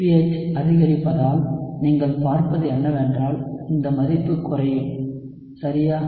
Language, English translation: Tamil, So what you would see is as the pH increases, this value will come down alright